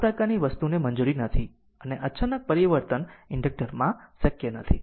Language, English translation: Gujarati, But this kind of thing not allowed right and abrupt change is not possible in the inductor right